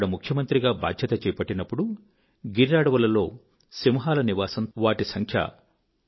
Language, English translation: Telugu, I had the charge of the Chief Minister of Gujrat at a period of time when the habitat of lions in the forests of Gir was shrinking